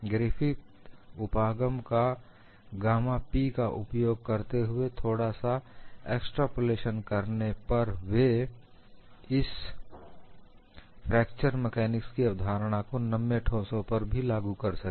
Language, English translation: Hindi, With the simple extrapolation of Griffith’s approach by using gamma P, he could apply concepts of fracture mechanics for ductile solids